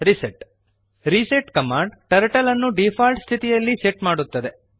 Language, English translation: Kannada, reset reset command sets Turtle to default position